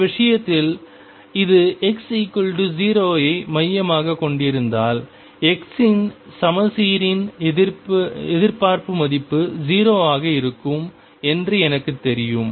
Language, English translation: Tamil, And in this case if this is centered at x equal to 0, I know the expectation value from symmetry of x is going to be 0